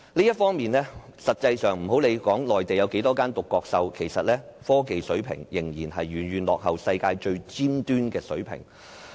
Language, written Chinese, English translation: Cantonese, 這方面，實際上，不論內地有多少間獨角獸公司，其實，科技水平仍然遠遠落後世界最尖端的水平。, So the reality is that no matter how many unicorn enterprises there are in the Mainland its technology level will still be far below the cutting - edge level in the world